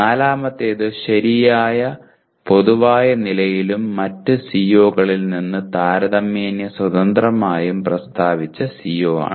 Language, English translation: Malayalam, The fourth one is the CO stated at the proper level of generality and relatively independent of other COs